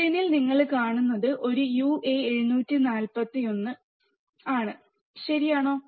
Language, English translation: Malayalam, In the screen what you see there is a uA741, right